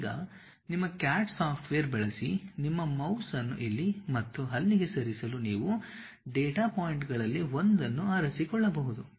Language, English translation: Kannada, Now, using your CAD software, you can just pick one of the data point move your mouse here and there